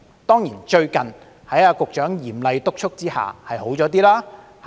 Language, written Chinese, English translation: Cantonese, 當然，最近在局長嚴厲督促下，情況稍有改善。, Of course the situation has slightly improved recently under the Secretarys strict supervision